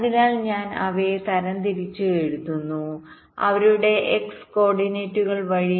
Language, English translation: Malayalam, so i am writing them sorted by their x coordinates